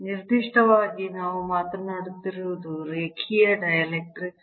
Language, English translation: Kannada, what we are talking about are linear dielectrics